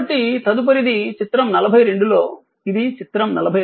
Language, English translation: Telugu, So, next one is that in figure 42, this is figure 42